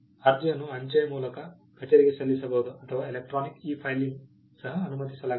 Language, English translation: Kannada, The application can be submitted to the office by post or electronically e filing is also permissible